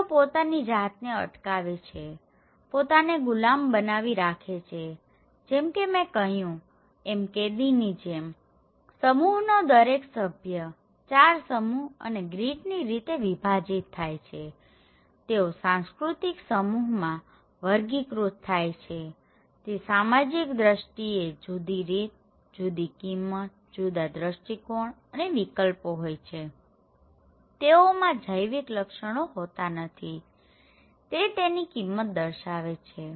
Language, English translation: Gujarati, So, who are left to fend themselves and like the slave as I said or the prisoners okay, so each people of these groups; these 4 groups based on the grid and group of these cultural groups or cultural categories, they looks every aspect of our social life in different manner, different values, different lenses, different perceptions and opinions they have so, it is not the individual biological characteristics that define their values